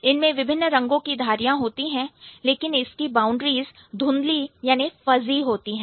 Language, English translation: Hindi, It has the stripes, but the boundaries are fuzzy